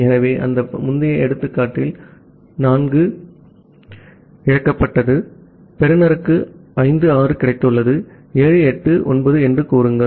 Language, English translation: Tamil, So, in that earlier example say 4 has been lost, the receiver has received 5, 6; say 7, 8, 9